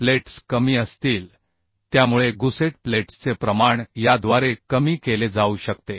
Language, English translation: Marathi, So the amount of gusset plates can be minimized through this